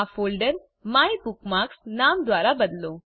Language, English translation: Gujarati, * Rename this folder MyBookmarks